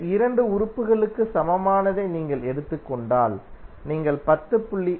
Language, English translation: Tamil, If you take the equivalent of these 2 elements, you will get 10